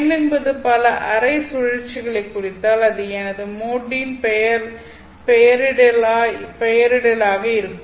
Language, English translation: Tamil, We said that if n denotes a number of half cycles, then that would be my mode nomenclature